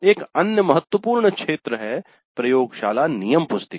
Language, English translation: Hindi, Then another important area is laboratory manuals